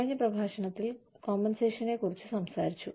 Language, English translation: Malayalam, We talked about, compensation, in the last lecture